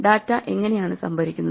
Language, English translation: Malayalam, How is data stored